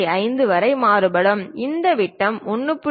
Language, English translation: Tamil, 5, this diameter can vary from 1